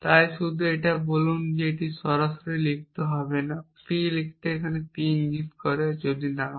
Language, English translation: Bengali, So, just say that it is not straight forward to the write P implies P system if not